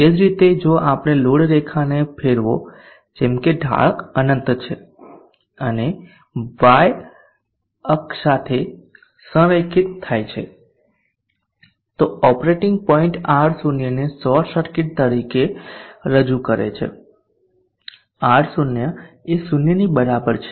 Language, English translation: Gujarati, Similarly if we rotate the load line such that the slope is infinite and aligned along the y axis then the operating point represents R0 as a short circuit R0 is equal to 0